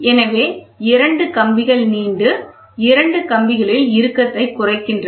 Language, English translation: Tamil, So, two wires; two of the wires elongates and reduces the tension in the other two wires